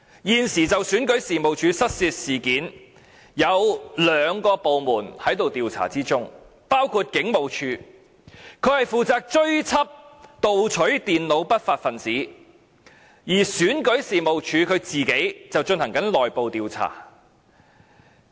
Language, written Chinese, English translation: Cantonese, 現時，有兩個部門正在調查選舉事務處的失竊事件，包括香港警務處，負責追緝盜取電腦的不法分子，而選舉事務處本身則進行內部調查。, Two government departments are now investigating the theft incident involving the Registration and Electoral Office REO . The Hong Kong Police Force is doing the job of tracking down the criminals who stole the computers . REO is conducting an internal investigation